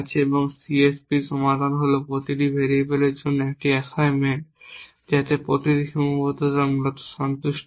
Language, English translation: Bengali, So, we are assume that there is 1 and the solution to CSP is an assignment to each variable such that each constraint is satisfied essentially